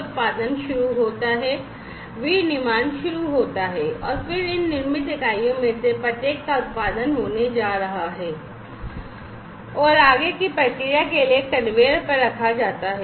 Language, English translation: Hindi, So, the production starts, manufacturing starts, and then each of these manufactured units are going to be produced, and put on the conveyor, for further processing